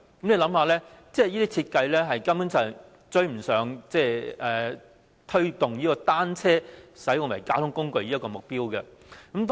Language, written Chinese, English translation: Cantonese, 試想想，這種設計根本無法達致推動單車成為交通工具的目標。, Come to think about it . Such a design is in fact unable to achieve the objective of promoting bicycles as a mode of transport